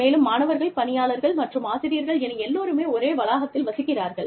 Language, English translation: Tamil, And, you know, we have students, and staff, and faculty, everybody, living in the same campus